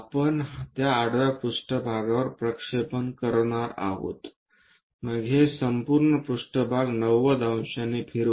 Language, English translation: Marathi, The projection what we are going to have it on that horizontal plane take it, then rotate this entire plane by 90 degrees